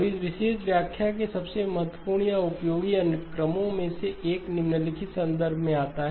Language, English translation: Hindi, Now one of the most important or useful applications of this particular interpretation comes in the following context